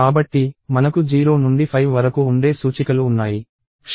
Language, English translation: Telugu, So, we have indices that go from 0 to 5